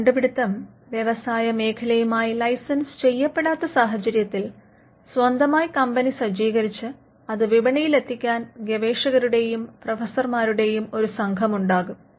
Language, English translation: Malayalam, Now, in cases where the invention is not licensed to an industry rather there are group of people probably a team of professors and researchers, who now want to set up their own company and then take it to the market